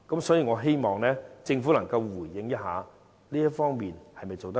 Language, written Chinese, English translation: Cantonese, 所以，我希望政府能夠回應這方面是否做得不足夠？, Therefore will the Government respond whether or not there are inadequacies in this area?